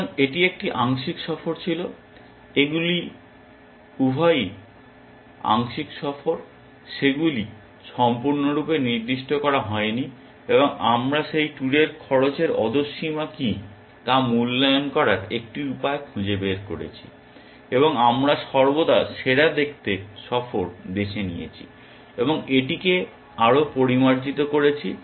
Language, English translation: Bengali, So, this was a partial tour, both these are partial tours, they are not fully specified and we had figured out a way to evaluate what is the lower bound cost on those tours, and we always picked up best looking tour and refined it further essentially